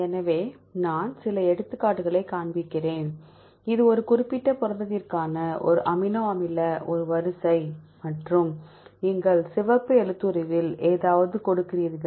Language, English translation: Tamil, So I’ll show some examples, this is one amino one sequence for a particular protein and you give something on the red font